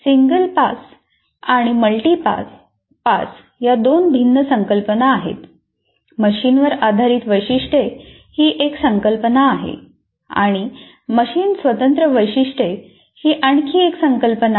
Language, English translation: Marathi, So, single pass, multipass, there are two different concepts and machine dependent features is one concept and machine independent features is another concept